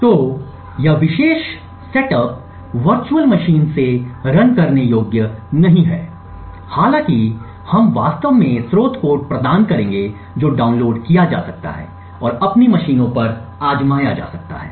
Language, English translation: Hindi, So, this particular setup may not be runnable from the virtual machine, although we will actually provide the source code that can be downloaded and tried on your own machines